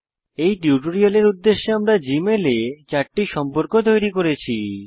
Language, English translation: Bengali, For the purposes of this tutorial we have created four contacts in Gmail